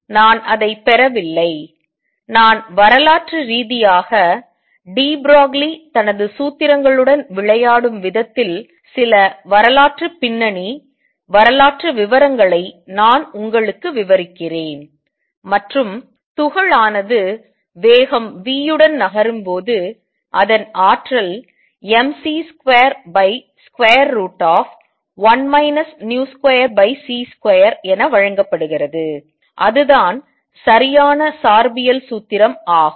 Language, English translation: Tamil, I am not deriving it I am just describing to you some historical background historical the way historically de Broglie was playing with his formulas, and when the particle moves with speed v its energy is given as mc square over square root of 1 minus v square over c square that is the correct relativistic formula